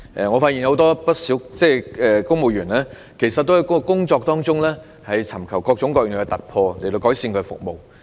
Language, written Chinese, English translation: Cantonese, 我發現不少公務員皆在工作中尋求各種各樣的突破，以期改善服務。, I found that many civil servants had invariably tried to seek various breakthroughs in their work in the hope of improving their services